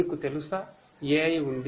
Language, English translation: Telugu, You know, AI has been there